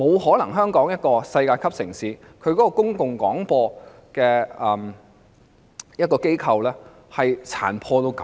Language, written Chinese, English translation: Cantonese, 香港作為世界級城市，它的公共廣播機構是不可能如此殘破的。, The Television Division of RTHK is even dilapidated . The public broadcaster of Hong Kong a world city cannot possibly be so dilapidated